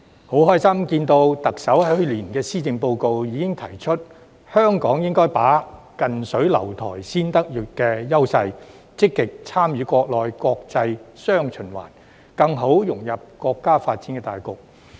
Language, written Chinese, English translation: Cantonese, 我樂見特首在去年的施政報告已經提出，香港應該把握"近水樓台先得月"的優勢，積極參與國內國際"雙循環"，更好地融入國家的發展大局。, I am glad to see that the Chief Executive proposed in her Policy Address last year that Hong Kong should proactively participate in the domestic and international dual circulation and better integrate into the overall national development by leveraging the advantage of our proximity to the Mainland